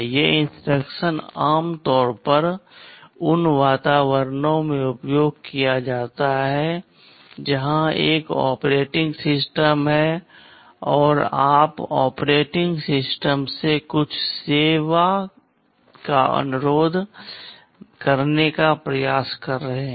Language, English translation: Hindi, These instructions are typically used in environments where there is an operating system and you are trying to request some service from the operating system